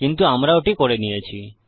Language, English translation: Bengali, But we have covered that